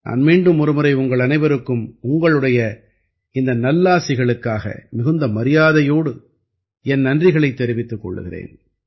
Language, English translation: Tamil, I once again thank you all with all due respects for this blessing